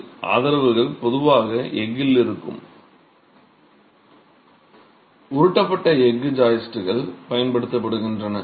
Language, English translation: Tamil, The supports are typically in steel, roll steel joists are used